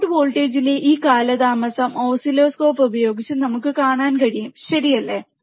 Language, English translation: Malayalam, This lag in the output voltage, we can see using the oscilloscope, alright